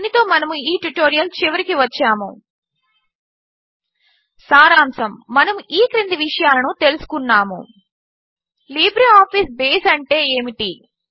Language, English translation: Telugu, This brings us to the end of this tutorial To summarize, we covered the following: What is LibreOffice Base